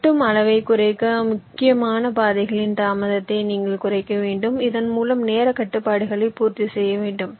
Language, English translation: Tamil, reducing cut size is, of course, yes, you have to minimize the delay in the critical paths, thereby satisfying the timing constraints